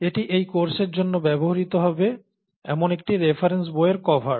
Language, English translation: Bengali, This is, the, cover of one of the reference books that will be used for this course